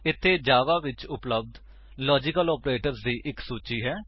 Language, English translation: Punjabi, Here is a list of the available logical operators in Java